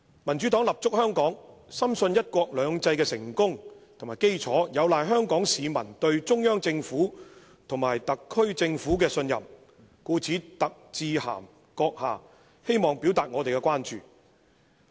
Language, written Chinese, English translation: Cantonese, 民主黨立足香港，深信'一國兩制'成功的基礎，有賴香港市民對中央政府和香港特別行政區政府的信任，故特致函閣下，希望表達我們的關注。, With its base in Hong Kong the Democratic Party firmly believes that Hong Kong peoples trust in both the Central Government and the Hong Kong SAR Government is the foundation of the successful implementation of one country two systems . For this reason we write to you to express our concern